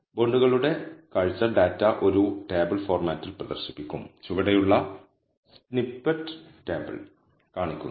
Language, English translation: Malayalam, View of bonds will display the data in a tabular format, the snippet below shows the table